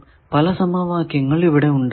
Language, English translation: Malayalam, Now, we have 2 equations